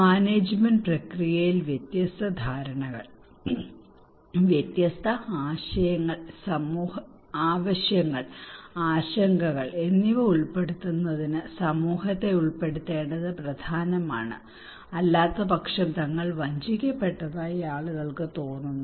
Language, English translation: Malayalam, So involving community is important in order to incorporate different perceptions, different ideas, needs, and concerns into the management process otherwise people feel that they are cheated